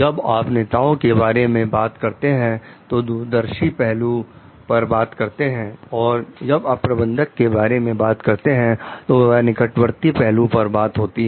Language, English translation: Hindi, When you are talking of leaders, it is long term perspective; for managers, it is short term perspective